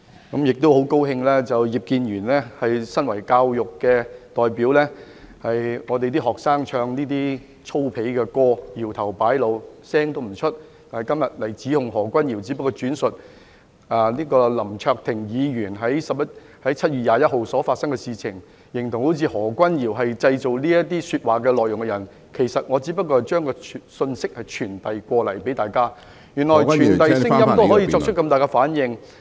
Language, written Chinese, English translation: Cantonese, 我亦十分高興葉建源議員身為教育界代表，當香港學生唱這些粗鄙的歌曲、搖頭擺腦時，他不作聲，但今天卻在這裏指控何君堯，而我只是轉述林卓廷議員在7月21日所發生的事情，他竟形容得好像我才是製造這些說話內容的人，其實我只是向大家傳遞有關的信息，原來傳遞聲音也可以令他作出如此大的反應......, I am also very glad that Mr IP Kin - yuen who never uttered a word as a representative of the education sector when Hong Kong students sang these vulgar songs shaking their heads but is here today to accuse Junius HO and I am only referring to what happened to Mr LAM Cheuk - ting on 21 July . According to his description it seems as if I were the one who made such remarks but in fact I am only conveying to everyone the information concerned . I never know that my repeat of someone elses words would have triggered such strong reaction from him